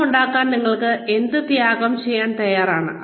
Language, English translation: Malayalam, What are you willing to sacrifice, to make money